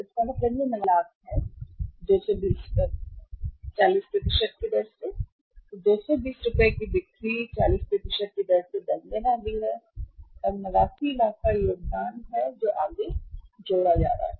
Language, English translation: Hindi, So, it is means it is 89 lakhs so 220 at the rate of 40%, 220 rupees sales are going to go up at the rate of 40% and contribution 89 lakhs of the contribution is going to a further added up